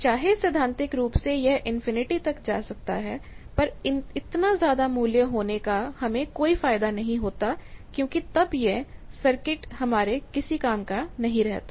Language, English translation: Hindi, Though theoretically it can go up to infinity, but in that time there is no point because that circuit is useless, if you have so much of